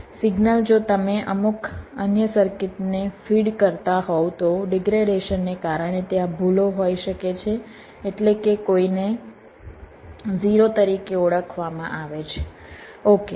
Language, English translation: Gujarati, the signal if you just feeding to some other circuits, because of degradation there can be errors, means a one might be recognize as a zero, something like that